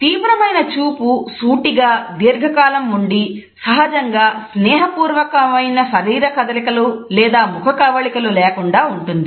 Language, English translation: Telugu, Our intense gaze is focused, it is of long duration and normally it is not accompanied by casual of friendly body movements or facial expressions